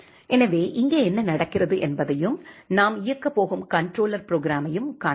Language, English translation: Tamil, So, that we can see what is going to happen here and the controller program that we are going to run